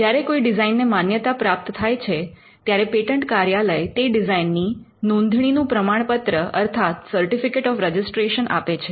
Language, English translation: Gujarati, When a design is granted, the patent office issues a certificate of registration of design